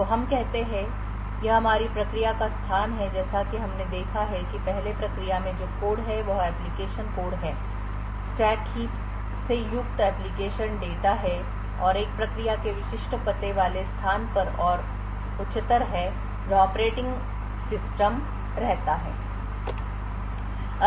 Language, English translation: Hindi, So let us say that this is our process space so as we have seen before the process space has the code that is the application code application data comprising of stacks heaps and so on and higher in the typical address space of a process is where the operating system resides